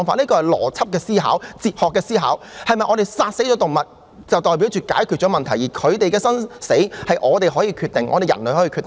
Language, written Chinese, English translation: Cantonese, 這涉及邏輯及哲學的思考：是否殺死動物便代表解決了問題，而牠們的生死是可由我們人類決定的？, This involves logical and philosophical thinking Does killing animals mean solving a problem and can their life or death be decided by us human beings?